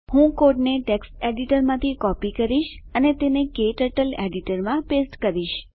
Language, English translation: Gujarati, Let me copy the code from the text editor and paste it into KTurtle editor